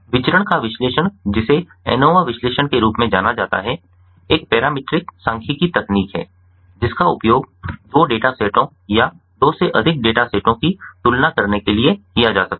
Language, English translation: Hindi, analysis of variance, in short known as anova analysis, is a parametric statistical technique that can be used to to compare two data sets, two or more data sets